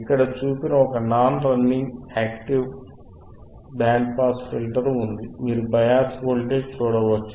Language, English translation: Telugu, , right and wWe have a non running active band pass filter as shown here, right, you can see bias voltage, right